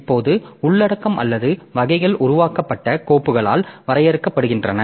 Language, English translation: Tamil, Now content or the types is defined by the files creator